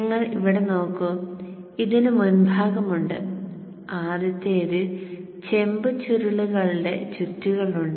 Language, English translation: Malayalam, And you see here, there is a former and within the former there is the copper coils wound